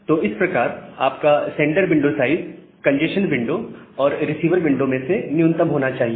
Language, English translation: Hindi, So that way your sender window size should be the minimum of congestion window, and the receiver window